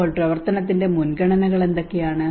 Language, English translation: Malayalam, So what are the priorities of action